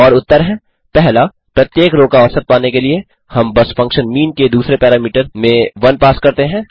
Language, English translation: Hindi, To get the mean of each row, we just pass 1 as the second parameter to the function mean